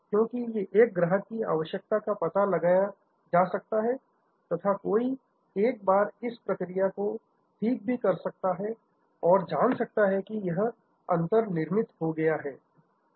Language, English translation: Hindi, Because one can find a customer requirement, one can fine tune once process and see that this gap is made